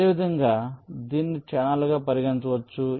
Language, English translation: Telugu, similarly, this can be regarded as channels